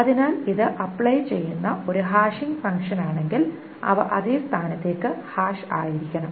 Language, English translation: Malayalam, So if this is a hashing function that is applied, they must be hashed to the same position